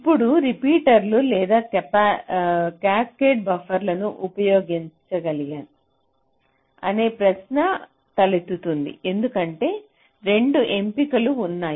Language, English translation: Telugu, so now the question arises whether to use repeaters or cascaded buffers, because both the options are there